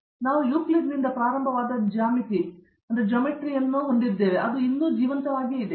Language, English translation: Kannada, So, like we have the geometry we started from Euclid or so, it is still living